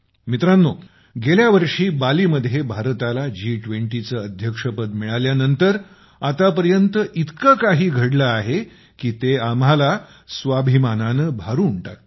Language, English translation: Marathi, Friends, since India took over the presidency of the G20 in Bali last year, so much has happened that it fills us with pride